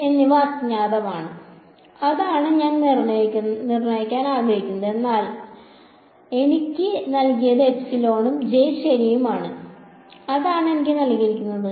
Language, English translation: Malayalam, E and H that is what is unknown that is what I want to determine and what is given to me is epsilon and J right that is what is given to me